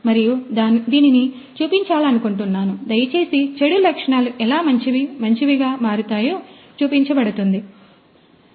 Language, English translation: Telugu, And would like to show it; please show the how bad qualities will getting changed and coming up with a good one